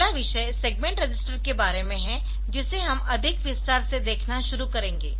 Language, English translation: Hindi, So, the next is about the segment registers we will start looking into more detail